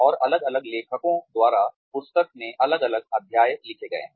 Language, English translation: Hindi, And, different chapters have been written in the book, by different authors